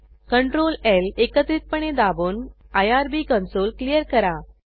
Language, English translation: Marathi, Press ctrl, L keys simultaneously to clear the irb console